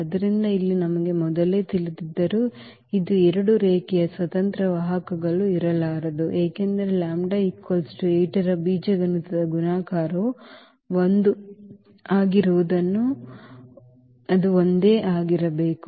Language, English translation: Kannada, So, here we know though beforehand that this there will be there cannot be two linearly independent vectors, it has to be only one because the algebraic multiplicity of this lambda is equal to 8 is 1